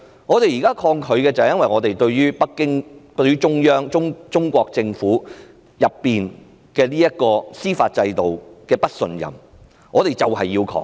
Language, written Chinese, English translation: Cantonese, 我們現在抗拒的原因是我們對北京、中央和中國政府的司法制度不信任，於是要抗拒。, The reason for our present resistance is our distrust of the judicial system of Beijing the Central Authorities and the Chinese Government . So we have to resist